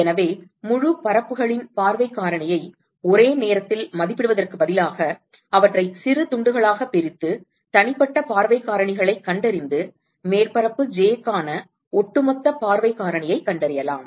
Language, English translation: Tamil, So, instead of estimating the view factor for the whole surfaces in one go you may want to divide them into small pieces and find individual view factors and find the overall view factor for surface j